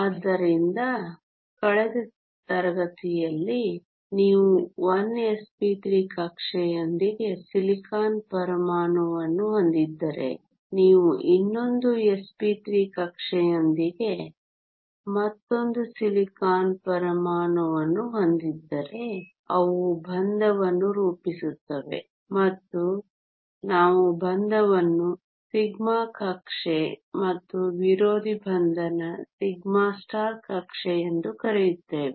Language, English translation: Kannada, So, in last class we saw that if you have a silicon atom with 1 s p 3 orbital you had another silicon atom with another s p 3 orbital, they form a bond and we called the bonding orbital sigma and the anti bonding orbital sigma star